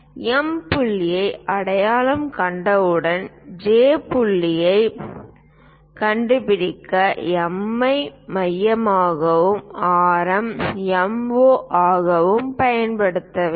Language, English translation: Tamil, Once we identify M point, what we have to do is use M as centre and radius MO to locate J point